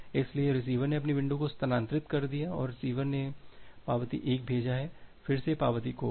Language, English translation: Hindi, So, receiver has shifted its window and receiver has sent the acknowledgement 1, again this acknowledgement got lost